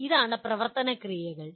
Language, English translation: Malayalam, These are the action verbs